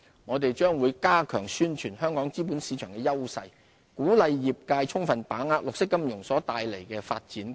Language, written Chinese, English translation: Cantonese, 我們將加強宣傳香港資本市場的優勢，鼓勵業界充分把握綠色金融所帶來的發展機遇。, We will step up our efforts to promote our competitive capital market and encourage the sector to explore opportunities brought by green finance